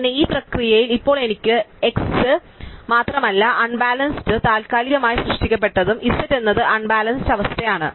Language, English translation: Malayalam, So, in the process now not only did I have x which was unbalanced and temporarily created is z which potentially is unbalance